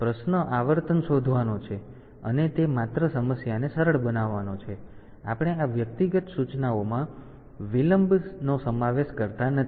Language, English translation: Gujarati, So, question is to find the frequency and it just has to simplify the problem, we do not include the delays of these individual instructions